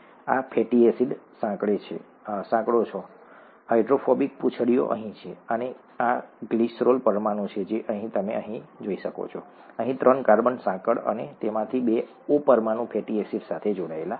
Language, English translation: Gujarati, These are the fatty acid chains, the hydro, hydrophilic, hydrophobic, it should be hydrophobic here; hydrophobic tails that are here and this is the glycerol molecule as you can see here, the three carbon chain here and two of those O molecules are attached to the fatty acid